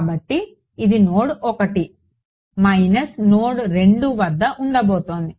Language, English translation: Telugu, So, this is going to be at node 1 minus node 2 that is what it is going to be